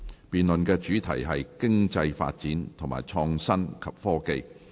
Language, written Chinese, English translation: Cantonese, 辯論主題是"經濟發展和創新及科技"。, The debate themes are Economic Development and Innovation and Technology